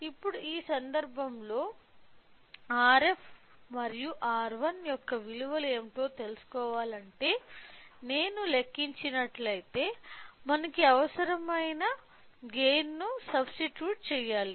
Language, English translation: Telugu, So, now, in this case if I calculate if I want to know what is the values of R f and R 1 so, we should substitute our required gain